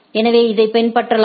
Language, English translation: Tamil, So, this can be followed